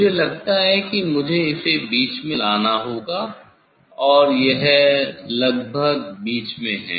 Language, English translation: Hindi, I think I have to bring it middle it is more or less in middle